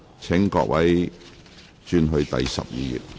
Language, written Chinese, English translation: Cantonese, 請各位轉往講稿第12頁。, Will Members please turn to Page 12 of the Script